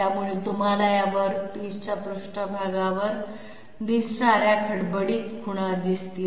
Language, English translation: Marathi, So you can see roughly those roughness marks appearing on the surface of this body